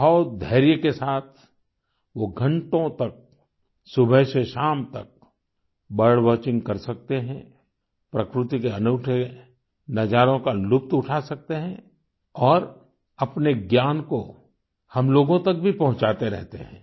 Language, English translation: Hindi, With utmost patience, for hours together from morn to dusk, they can do bird watching, enjoying the scenic beauty of nature; they also keep passing on the knowledge gained to us